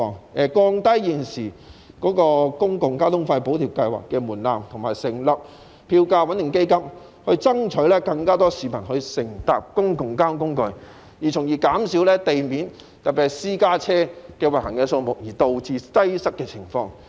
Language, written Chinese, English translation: Cantonese, 政府應降低現時公共交通費補貼計劃的門檻，以及成立票價穩定基金，以爭取更多市民乘搭公共交通工具，從而減少因地面有過多車輛，特別是過多私家車行走而導致擠塞的情況。, The Government should lower the current threshold for the Public Transport Fare Subsidy Scheme and set up a fare stabilization fund in an effort to encourage more people to take public transport in order to reduce traffic congestion resulted from an excessive number of vehicles especially private cars running on roads